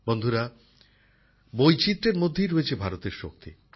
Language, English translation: Bengali, Friends, India's strength lies in its diversity